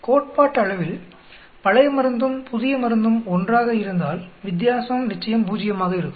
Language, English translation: Tamil, Theoretically, if the old drug and the new drug are the same the different should be equal to 0